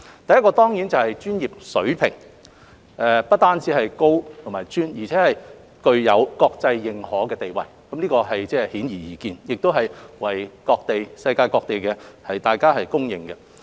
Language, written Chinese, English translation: Cantonese, 第一當然是專業水平，不單是高且專，而且具有國際認可的地位，這是顯而易見，亦為世界各地公認。, The first is of course the professional levels which are not only high but also highly specialized and widely recognized in the world . This is obvious and widely recognized in the world